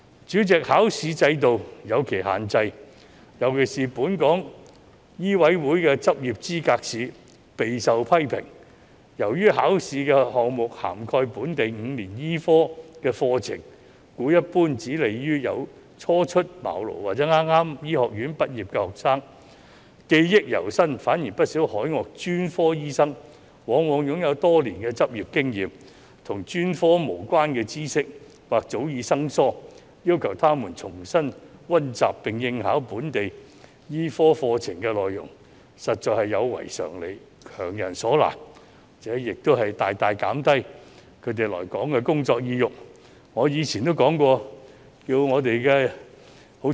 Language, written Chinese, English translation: Cantonese, 主席，考試制度有其限制，特別是本港醫務委員會的執業資格試備受批評，由於考試項目涵蓋本地5年醫科課程，故一般只有利於初出茅廬或是剛於醫學院畢業的學生，因為他們記憶猶新，反而不少海外專科醫生往往擁有多年執業經驗，但與專科無關的知識或許早已生疏，要求他們重新溫習並應考本地醫科課程內容實在有違常理，強人所難，而且亦大大減低他們來港工作的意欲。, President the examination system has its limitations . The Licensing Examination of the Medical Council of Hong Kong MCHK in particular has attracted a lot of criticisms because the examination covers the syllabus of the five - year local medicine programme and thus is more favourable to new doctors or fresh medical graduates who have a fresh memory . Contrarily many overseas specialist doctors have many years of practice experience but have become unfamiliar with knowledge unrelated to their specialist areas